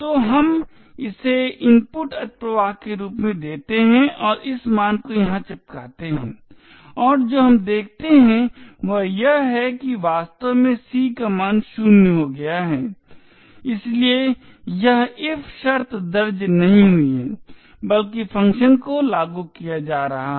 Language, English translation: Hindi, So, let us give this as input overflow and paste this value here and what we see is that the value of C indeed has become 0 and therefore this if condition has not entered but rather function has being been invoked